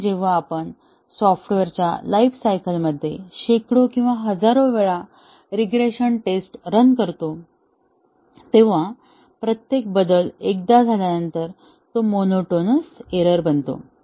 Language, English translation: Marathi, and when we run a regression test hundreds or thousands of time during the lifetime of the software, after each change occurs once then, it becomes monotonous error prone